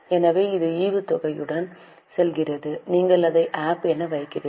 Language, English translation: Tamil, Again it is a type of dividend so we are putting it as APP